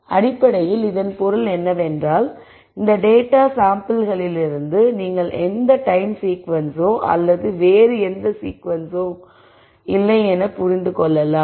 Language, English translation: Tamil, So, basically what this means is you are not in for any time sequence or any other sequence from this data samples